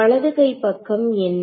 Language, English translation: Tamil, So, what is the left hand side